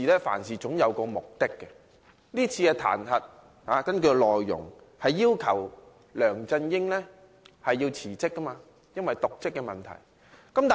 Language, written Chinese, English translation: Cantonese, 凡事總有其目的，而根據議案內容，這次彈劾的目的是要求梁振英因其瀆職問題辭職。, Everything has its purpose . According to the contents of this motion the purpose of this impeachment proposal is to demand LEUNG Chun - yings resignation for his dereliction of duty